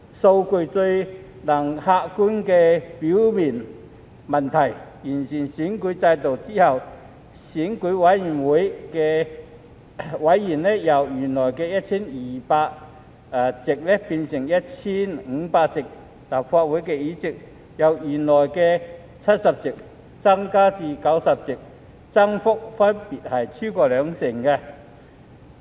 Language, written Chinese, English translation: Cantonese, 數據最能客觀說明問題，完善選舉制度後，選委會委員由原來的 1,200 席變成 1,500 席，立法會議席由原來的70席增至90席，增幅分別超過兩成。, Statistics can best put problems into an objective perspective . After the electoral system is improved the number of EC members will be changed from the original 1 200 to 1 500 and the number of seats in the Legislative Council will be increased from 70 to 90 representing a respective growth of more than 20 %